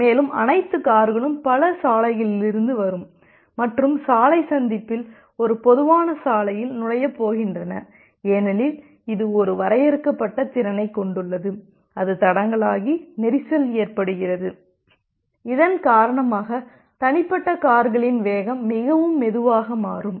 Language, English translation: Tamil, And all the cars are going to enter to a common road from multiple others road and in the road junction because it has a finite capacity, that becomes the bottleneck and the congestion becomes there, because of which the speed of individual cars become very slow